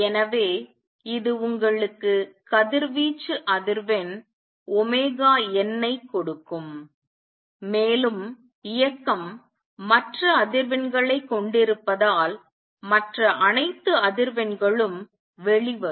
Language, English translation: Tamil, So, it will give you frequency of radiation omega n and since the motion also contains other frequencies all the other frequencies will also come out